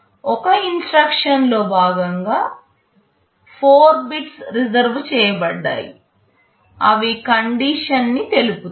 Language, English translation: Telugu, As part of an instruction there are 4 bits reserved that will be specifying the condition